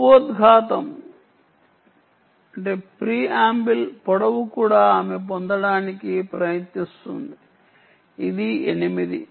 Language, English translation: Telugu, the preamble length is also she is trying to get, which is eight and um